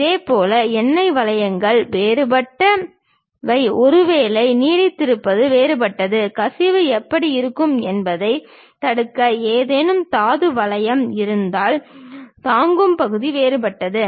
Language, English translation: Tamil, Similarly, oil rings are different, perhaps lingers are different; if there are any ore ring kind of thing to prevent leakage how it looks like, the bearing portion is different